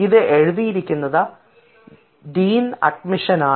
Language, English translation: Malayalam, the writer here is the dean admission, of course